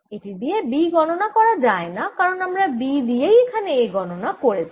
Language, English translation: Bengali, it is not useful to calculate b because right now we are calculating a from b